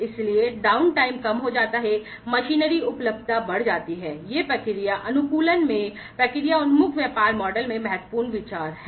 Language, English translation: Hindi, So, reduced down time, increased machinery availability, these are important considerations in the process optimization sorry in the process oriented business model